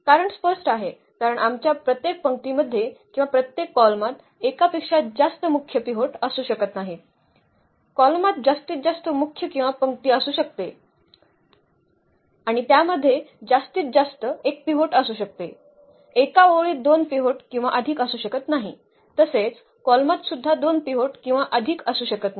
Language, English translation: Marathi, The reason is clear because our each row or each column cannot have more than one pivot, the column can have at most one pivot or the row also it can have at most one pivot, one row cannot have a two pivots or more, column cannot have a two pivots or more